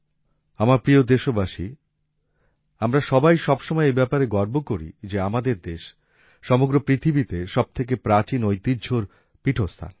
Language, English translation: Bengali, My dear countrymen, we all always take pride in the fact that our country is home to the oldest traditions in the world